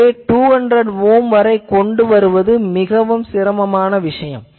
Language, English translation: Tamil, So, getting a 200 ohm line is difficult